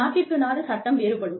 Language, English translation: Tamil, The laws, vary by country